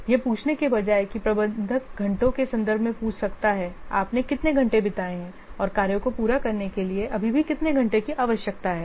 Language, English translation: Hindi, Instead of asking that, so the manager may ask in terms of hours, how much hours you have spent and how much hours still required to finish the tax off